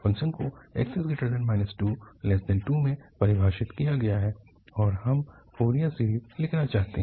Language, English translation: Hindi, But what is now here the function is defined minus 2 to 2 and we want to write Fourier series